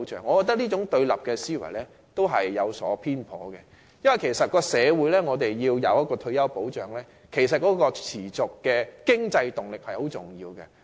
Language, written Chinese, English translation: Cantonese, 我覺得這種對立思維有所偏頗，因為社會若要提供退休保障，持續的經濟動力是很重要的。, I think such a confrontational mindset is biased because sustainable economic impetus is vitally important if retirement protection is to be provided in society